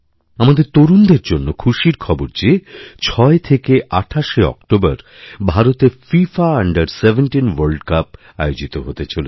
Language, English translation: Bengali, The good news for our young friends is that the FIFA Under 17 World Cup is being organized in India, from the 6th to the 28th of October